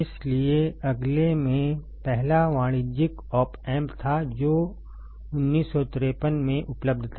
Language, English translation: Hindi, So, in the next one was first commercial op amp which was available in 1953